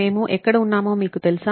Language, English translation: Telugu, You know where we are folks